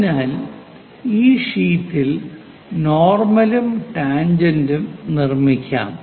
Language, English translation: Malayalam, So, let us construct this normal on tangent on sheet